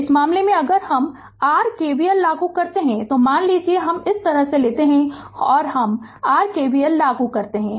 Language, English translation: Hindi, So, in this case if you apply your KVL suppose if I go like this and i apply your KVL